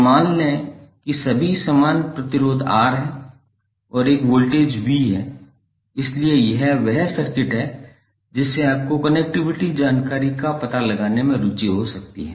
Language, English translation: Hindi, So suppose all are of equal resistance R and this is voltage V, so this is the circuit you may be interested to find out the connectivity information